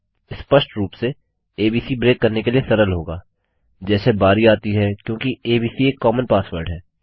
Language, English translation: Hindi, Obviously, abc will be an easy one to break into as the turn goes because abc will be a common password